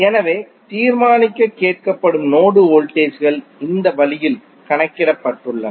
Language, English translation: Tamil, So, the node voltages which are asked to determine have been calculated in this way